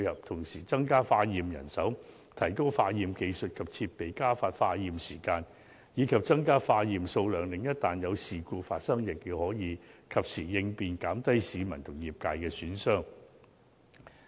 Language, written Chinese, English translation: Cantonese, 同時，增加化驗人手，提高化驗技術及設備，加快化驗時間，以及增加化驗數量，一旦有事故發生，亦可及時作出應變，減低對市民和業界的損害。, Besides laboratory manpower should be strengthened and laboratory technology and facilities should also be upgraded . The testing turnaround time should be shortened and the testing quantity increased so that in the event of incidents the laboratory service can react in a timely manner to minimize the damages caused to the public and the trade